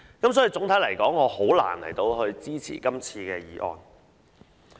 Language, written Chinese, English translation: Cantonese, 所以，總體來說，我很難支持這項決議案。, Hence overall it is difficult for me to support this Resolution